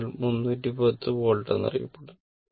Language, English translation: Malayalam, So, it is said 310 volts right